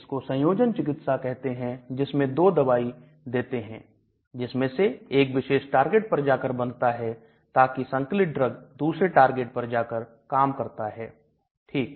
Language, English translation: Hindi, This is called a combination therapy where we give 2 drugs, 1 drug acts on 1 target and the added drug acts on the other target okay